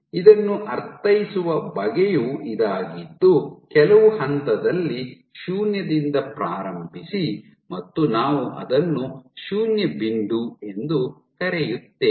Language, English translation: Kannada, So, this the way to interpret this is at this point let us say you start from some point zero will call zero point